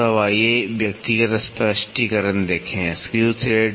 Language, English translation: Hindi, So, now, let us see the individual explanations; Screw thread